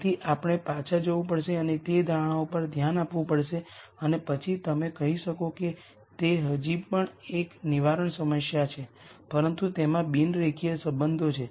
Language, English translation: Gujarati, So, we have to go back and look at those assumptions and then maybe you could say it is still a deterministic problem, but there are non linear relationships